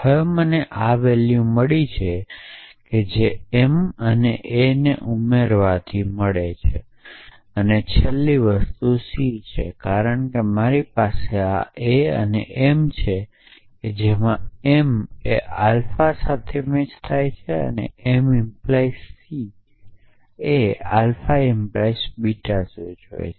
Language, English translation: Gujarati, So, now I have got a m I got this by addition of a and m and then the last thing is c, because I have this a a and m a and m matches alpha and a and m implies c matches alpha implies beta